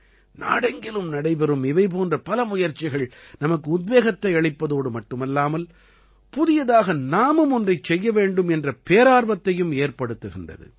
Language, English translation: Tamil, Many such efforts taking place across the country not only inspire us but also ignite the will to do something new